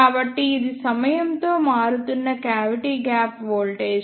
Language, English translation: Telugu, So, ah this is the cavity gap voltage varying with time